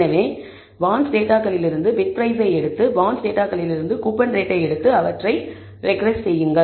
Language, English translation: Tamil, So, take bid price from the bonds data and take coupon rate from the bonds data and regress them